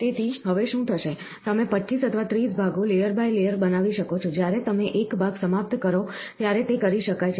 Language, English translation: Gujarati, So, now, what will happen, you can make 25 or 30 parts layer by, layer by layer, it can be done at, when you finish one part